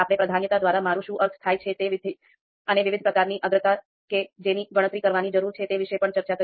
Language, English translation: Gujarati, We also talked about what we mean by priority and the different types of priorities that we need to calculate